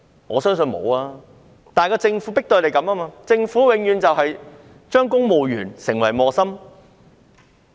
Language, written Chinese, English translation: Cantonese, 我相信不是，而是政府迫使警察這樣做，政府永遠把公務員變成為磨心。, I do not think so . Instead they were forced by the Government to do so . The Government has always put civil servants in a dilemma